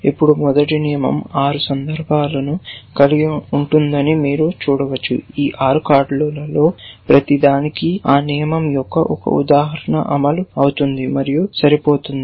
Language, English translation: Telugu, Now, you can see that this rule, the first rule will have 6 instances, for each of these 6 cards 1 instance of that rule will fire will match